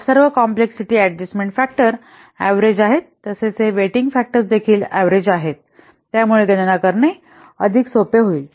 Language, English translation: Marathi, So, all the complexity adjustment factors are avaraged as well as these weighting factors they are average